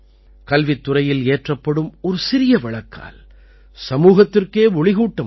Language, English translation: Tamil, Even a small lamp lit in the field of education can illuminate the whole society